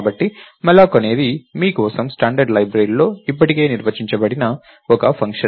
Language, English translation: Telugu, So, malloc is a function that is already defined in stdlib for you